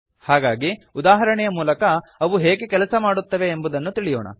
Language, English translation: Kannada, So let us see how they work through an example